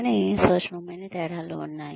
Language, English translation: Telugu, But, there are subtle differences